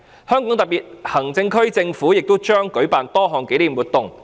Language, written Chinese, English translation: Cantonese, 香港特區政府也將舉辦多項紀念活動。, The Hong Kong Special Administrative Region Government will organize various commemorative activities